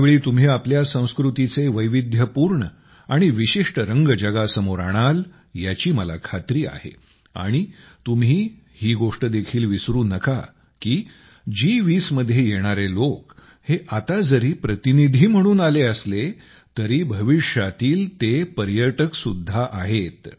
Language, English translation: Marathi, I am sure that you will bring the diverse and distinctive colors of your culture to the world and you also have to remember that the people coming to the G20, even if they come now as delegates, are tourists of the future